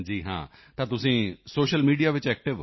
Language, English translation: Punjabi, So are you active on Social Media